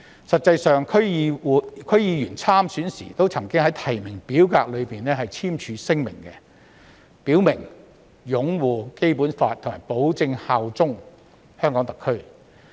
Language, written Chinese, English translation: Cantonese, 實際上，區議員參選時均曾在提名表格內簽署聲明，表明擁護《基本法》及保證效忠特區。, In fact all DC members had signed a declaration in the nomination form when they stood for election stating that they would uphold the Basic Law and pledge allegiance to SAR